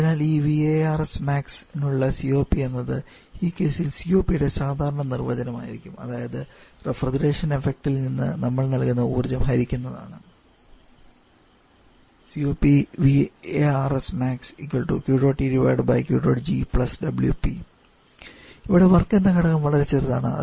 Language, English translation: Malayalam, So COP for this VARS Max will be the normal definition of COP for this case is the refrigeration effect divided by total energy input that you are giving which is Q dot G + W dot P